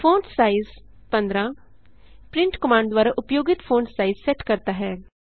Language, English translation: Hindi, fontsize 18 sets the font size used by print command